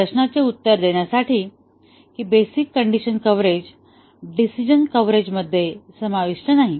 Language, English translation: Marathi, To answer this question that the basic condition coverage does not subsume decision coverage